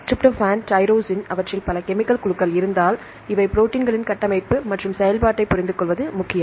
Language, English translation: Tamil, Tryptophan tyrosine, say if they contain several chemical groups These chemical groups are important to understanding the structure and function of proteins